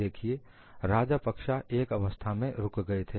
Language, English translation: Hindi, See, Rajapakse stopped at some stage